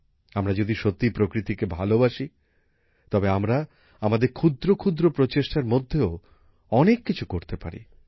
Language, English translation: Bengali, If we really love nature, we can do a lot even with our small efforts